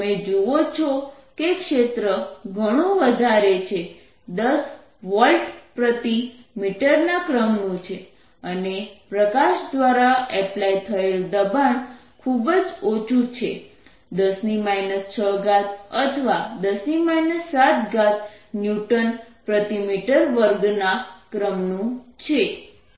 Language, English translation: Gujarati, you see that field are quietly large of the order of ten volt per metre and pressure applied by light is very, very small, of the order of ten raise to minus six or ten raise to minus seven newton's per metres square